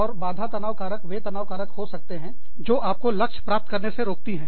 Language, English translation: Hindi, And, hindrance stressors would be stressors, that keep you from reaching your goal